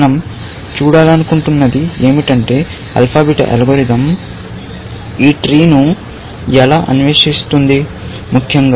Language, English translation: Telugu, What we want to see is how will alpha beta algorithm explore this tree, essentially